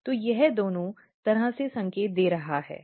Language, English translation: Hindi, So, it is signaling both way